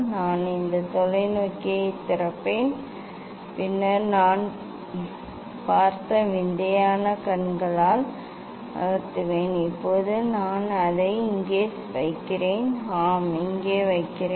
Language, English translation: Tamil, I will unlock this telescope, then move with weird eye I have seen now I will place it here I will place it here yes